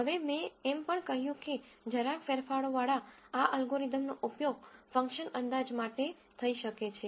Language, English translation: Gujarati, Now I also said this algorithm with minor modifications can be used for function approximation